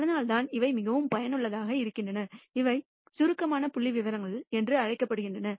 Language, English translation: Tamil, And that is why the these are very useful and they are also called summary statistics